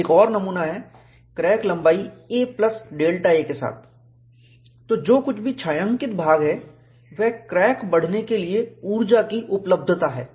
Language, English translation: Hindi, I have a specimen with crack of length a, another specimen with crack of length a plus delta a; whatever is the shaded portion, is the energy availability for crack to grow